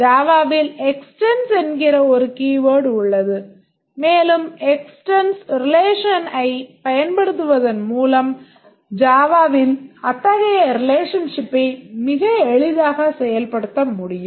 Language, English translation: Tamil, We have a keyword extends in Java and we can very easily implement such a relationship in Java by simply using the extends relation